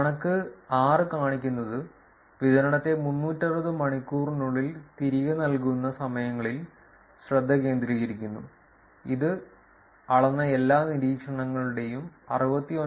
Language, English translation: Malayalam, And the figure 6 shows the distribution focusing on returning times under 360 hours, which account for 69